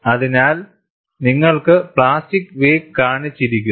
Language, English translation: Malayalam, So, you have the plastic wake shown